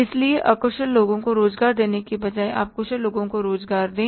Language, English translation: Hindi, So, rather than employ unskilled people, you employ the skilled people